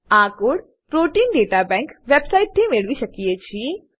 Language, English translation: Gujarati, This code can be obtained from the Protein Data Bank website